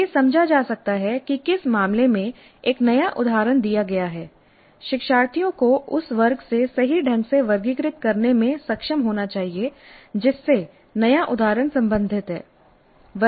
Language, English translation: Hindi, It could be understand level in which case given a new instance learners must be able to correctly categorize the class to which the new instance belongs